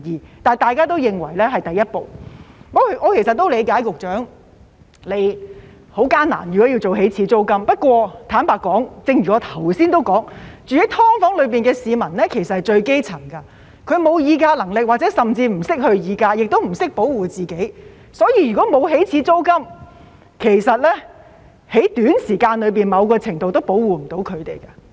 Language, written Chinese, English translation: Cantonese, 不過，大家也認為這是第一步，我理解局長如果要訂立起始租金是很艱難，但坦白說，正如我剛才提到，居住在"劏房"的都是最基層的市民，他們沒有議價能力，甚至不懂得議價，亦不懂得保護自己，所以，如果沒有起始租金，其實在短時間內，某程度也無法保護他們。, However Members think that it is only the first step . I understand that it is very difficult for the Secretary to set the initial rent but frankly speaking as I mentioned just now those living in SDUs are the grass roots who do not have bargaining power nor do they even know how to bargain or protect themselves . Thus if the Government fails to set an initial rent there is actually no way to protect these people in the short term